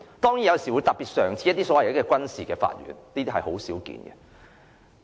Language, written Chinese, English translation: Cantonese, 當然，有時候會成立特別的軍事法庭，但卻不常見。, Certainly special military courts will be set up sometimes but this is not very common